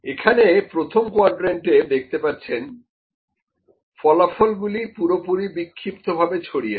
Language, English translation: Bengali, In the first quadrant you can see the results are all scattered